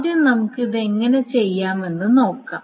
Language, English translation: Malayalam, So first thing is that let us see how to do it